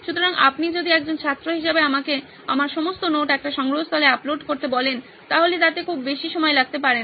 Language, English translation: Bengali, So if you ask me as a student to upload all my notes into a repository, then that might not take a lot of time